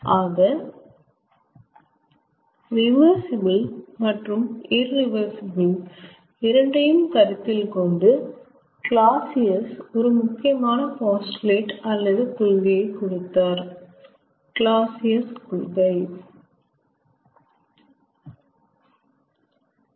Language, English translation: Tamil, so, considering both reversible and irreversible cycle, clausius gave a very important postulate or principle, clausius principle